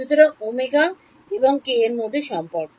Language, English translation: Bengali, Just the relation between omega and k